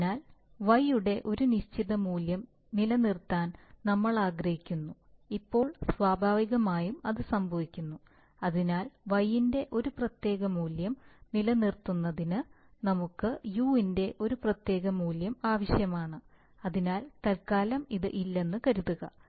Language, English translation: Malayalam, So we want to maintain a certain value of y, now naturally in, it happens, so happens that for maintaining a particular value of y, we need a particular value of u, so for the time being assume that, this is not there